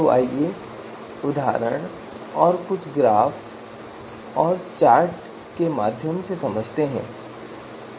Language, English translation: Hindi, So let us understand you know this through example and some some some graphs, some charts